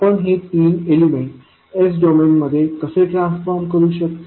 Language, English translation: Marathi, So, how we can transform the three elements into the s domain